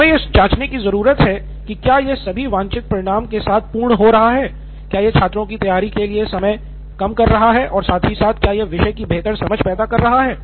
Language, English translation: Hindi, So keep checking back whether it all makes sense with the desired result, is it reducing the time to prepare as well as is it yielding a better understanding of the topic